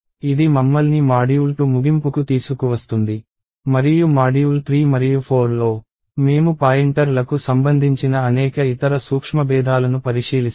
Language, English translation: Telugu, So, this brings us to the end of module 2 and in module 3 and 4, we will look at various other subtleties related to pointers